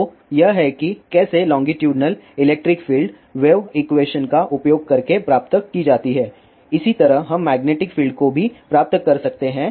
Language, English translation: Hindi, So, this is how longitudinal electric filed is derived using wave equation similarly we can derive magnetic field also